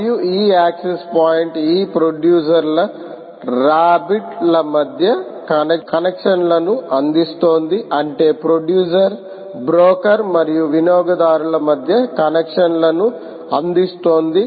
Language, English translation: Telugu, there is an access point that has been placed here, and this access point is providing connections between the these producers, rabbit i mean producers, broker and the consumer